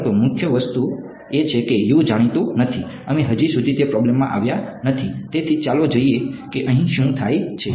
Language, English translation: Gujarati, But the main thing is that U is not known, we have not yet come to that problem; so, let us see what happens here